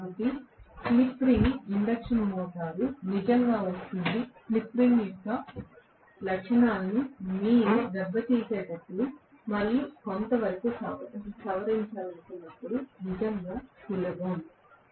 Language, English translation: Telugu, So, slip ring induction motor comes in really really handy when you want to tamper and somewhat modify the characteristics of the induction motor